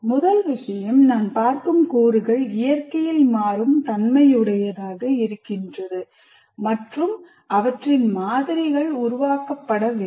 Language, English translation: Tamil, So first thing is the elements that I'm looking at are dynamic in nature and their models are developed